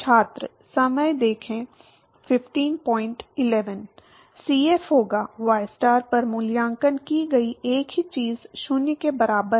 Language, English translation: Hindi, Cf will be, same thing evaluated at ystar is equal to 0